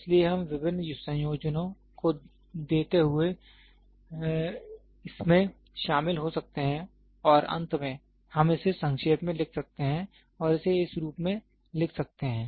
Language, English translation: Hindi, So, we can join this giving various combinations and finally, we can sum it up and write it in this form